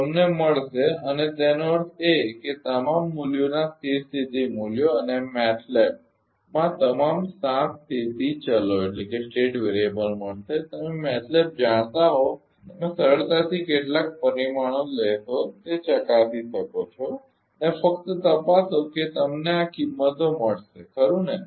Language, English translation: Gujarati, You will get and; that means, the steady state values of all the values you will get all the seven state variables in matlab you can easily verify if you know the matlab take some parameter and just check you will get all these values right